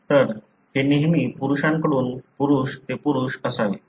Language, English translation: Marathi, So, it would be always from a male to male to male